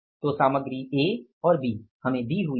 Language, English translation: Hindi, Material A is going to be how much